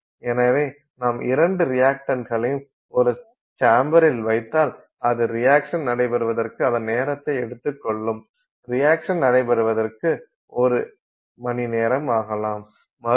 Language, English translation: Tamil, So, if you simply put the two reactants in a chamber, they would take their own time to react, it may take an hour to react